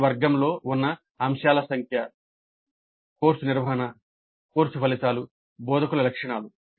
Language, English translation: Telugu, Number of items under each category, course management, course outcomes, instructor characteristics like this